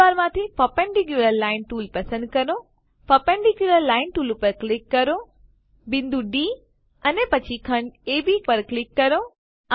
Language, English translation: Gujarati, Select perpendicular line tool from tool bar,click on the perpendicular line tool, click on the point D and then on segment AB